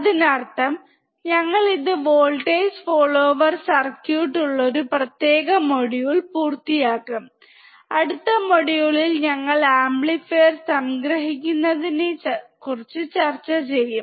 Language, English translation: Malayalam, So, we will just complete this particular module with the voltage follower circuit, and in the next module, we will discuss about summing amplifier